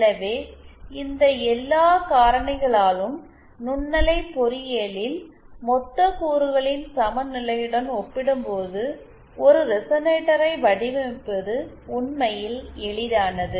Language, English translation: Tamil, So, because of all these factors, it is actually as we shall see, it is actually easier to design a resonator as compared to equivalence of lumped components in microwave engineering